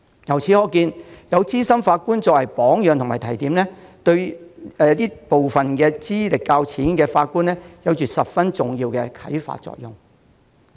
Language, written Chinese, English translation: Cantonese, 由此可見，資深法官的榜樣及提點，對部分資歷較淺的法官有很重要的啟發作用。, It can be seen that the role models and advice of senior judges serve as important inspiration for judges with less experience